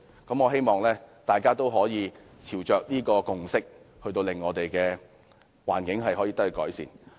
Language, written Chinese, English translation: Cantonese, 我希望大家都可以朝着這個共識，令我們的環境得以改善。, I hope everyone will move towards this consensus and improve the environment